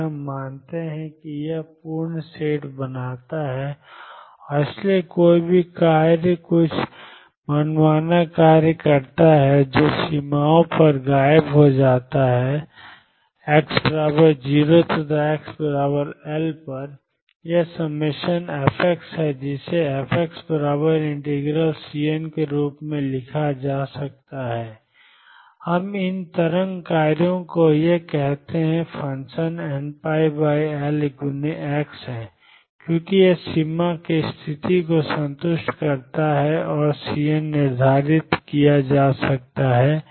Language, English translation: Hindi, And we assume that this forms a complete set and therefore, any function some arbitrary function which vanishes at the boundaries x equals 0 and x equals L, this is sum f x can be written as f x equals integration C n we call these wave functions these functions are n pi over L x, because this satisfies the boundary condition and the C n can be determined